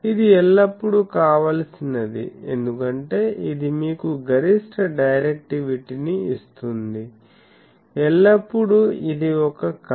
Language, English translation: Telugu, So, that is always desirable because that gives you maximum directivity thing so, always that is a dream